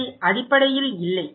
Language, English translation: Tamil, No, basically no